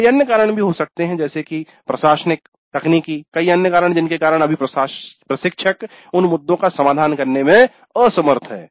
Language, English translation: Hindi, There could be several other reasons administrative, technical, many other reasons because of which right now the instructor is unable to address those issues